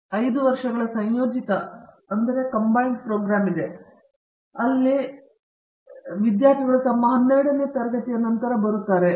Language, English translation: Kannada, We have a 5 years integrated program, where students come after their 12th grade